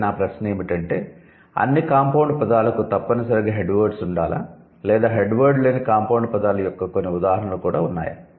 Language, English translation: Telugu, However, my question for you would be, do you think all compound words must have head words or there are certain instances of headless compound words too